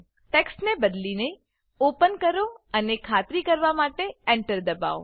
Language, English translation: Gujarati, Change the text to Open and press Enter to confirm